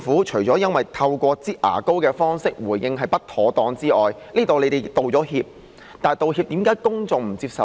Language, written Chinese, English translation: Cantonese, 除了透過"擠牙膏"方式回應是不妥當外，而政府亦已就此道歉，但為何公眾不接受呢？, It is inadvisable to give responses in a manner of squeezing toothpaste out from a tube and the Government has also apologized for it but why did the public not accept it?